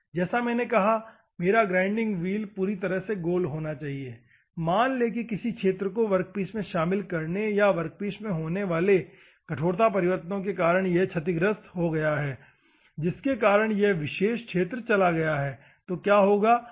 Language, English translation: Hindi, As I said my grinding wheel should be perfectly circle; assume that a sector is damaged because of inclusion in a workpiece or because of hardness change that is occurring in the workpiece, because of which if this particular sector is gone, then what will happen